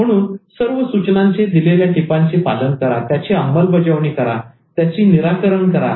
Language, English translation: Marathi, So use all these suggestions tips, implement it, resolve